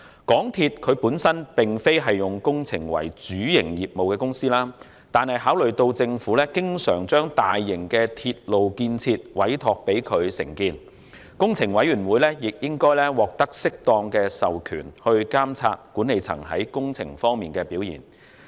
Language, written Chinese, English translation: Cantonese, 港鐵公司本身並非以工程為主營業務，但考慮到政府經常將大型的鐵路建設委託他們承建，工程委員會亦應該獲得適當的授權來監察管理層在工程方面的表現。, However in view of the fact that the company is often entrusted by the Government with the construction of large - scale railway projects its Capital Works Committee should also be properly authorized to supervise management performance in capital works